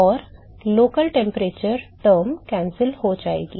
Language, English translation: Hindi, So, the local temperature term will cancel out